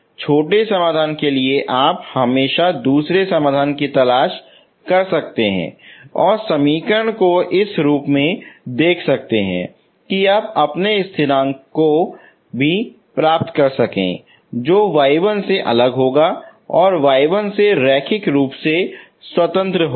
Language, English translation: Hindi, For smaller solution you can always look for the second solution but if you put it in this form rather than the other earlier solution form, if you look for in this form you will be able to get your constants and you see that it will be different from your y1 and it is linearly independent from y1